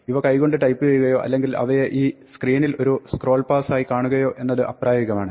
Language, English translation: Malayalam, It is impractical to type them by hand or to see them as a scroll pass in this screen